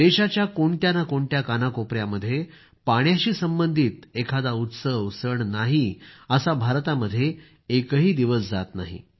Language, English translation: Marathi, There must not be a single day in India, when there is no festival connected with water in some corner of the country or the other